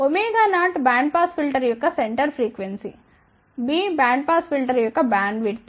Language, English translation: Telugu, Omega 0 is the center frequency of the band pass filter B is the bandwidth of the bandpass filter